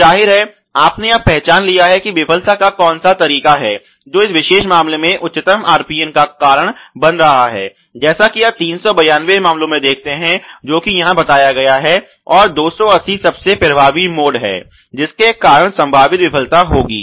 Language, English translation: Hindi, So obviously, you have now identify which is the mode of failure which is causing the highest RPN in this particular case probably as you can realize 392 case which is illustrated here ok, and the 280 are the two most impactful modes because of which the potential failure would happen